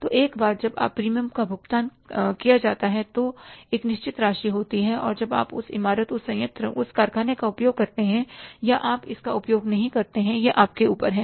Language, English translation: Hindi, So, once that premium is paid, there is a fixed amount, now you make use of that building, that plant, that factory or you don't make use of that, it's up to you